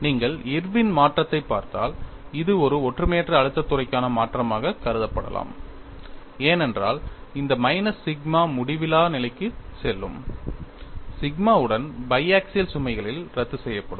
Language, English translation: Tamil, If you look at Irwin modification, this could be considered as a modification for a uniaxial stress field, because this minus sigma will go to at infinity cancel with the sigma and the biaxial load